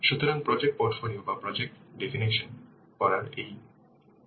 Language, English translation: Bengali, So this is this first how to define the project portfolio or project portfolio definition